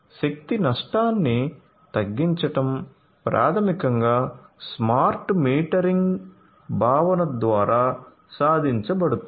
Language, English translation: Telugu, So, reduction in energy loss is basically achieved through the smart metering concept